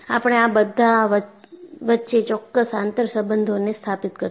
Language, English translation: Gujarati, So, we would establish certain interrelationships among this